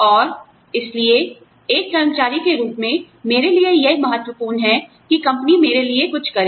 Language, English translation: Hindi, And, that is why, it is important to me, as an employee, that the company does, something for me